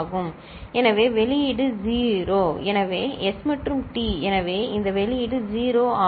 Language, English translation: Tamil, So, the output is 0; so S and T, so this output is 0